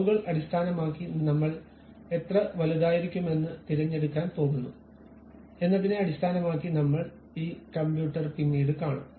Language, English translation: Malayalam, Based on the dimensions what we are going to pick how big is supposed to be based on that we will see this computer later